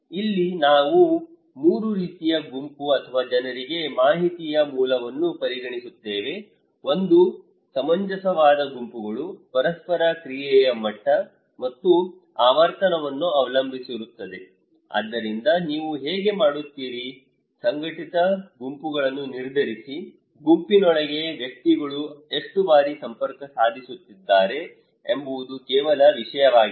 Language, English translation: Kannada, Here, we consider 3 kind of group or the source of information for people, one is the cohesive groups that depends on the degree and frequency of the tie or interactions okay so given, so how do you decide the cohesive groups; it is just a matter of that how frequently the individuals within a group is connecting